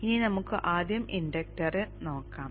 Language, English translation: Malayalam, Now let us look at the inductor first